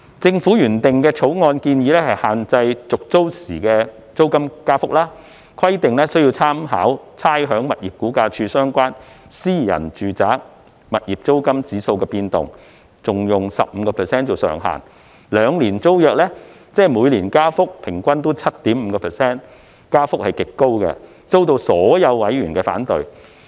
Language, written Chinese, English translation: Cantonese, 政府原訂的《條例草案》，建議限制續租時的租金增幅，規定須參考差餉物業估價署相關私人住宅物業租金指數的變動，並以 15% 上限，兩年租約，即每年加幅平均為 7.5%， 增幅極高，遭到所有委員反對。, The Governments original Bill proposes to restrict the level of rent increase upon tenancy renewal with reference to the movement of the relevant rental index of private domestic properties released by the Rating and Valuation Department and subject to a cap of 15 % for a two - year tenancy ie . an average annual increase of 7.5 % . The extremely high rate of increase met with opposition from all members